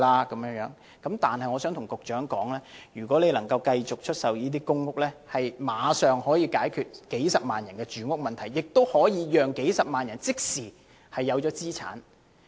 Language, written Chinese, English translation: Cantonese, 我想告訴局長，如果能夠繼續出售公屋，立刻能夠解決數十萬人的住屋問題，也可以讓數十萬人即時擁有資產。, I would like to tell the Secretary if more PRH units can be sold the housing problem of hundreds of thousands of people will be immediately resolved and such people will immediately become property owners